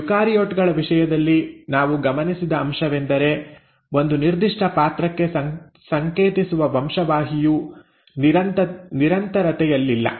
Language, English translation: Kannada, In case of eukaryotes what we observed is that the gene which is coding for a particular character, is not in continuity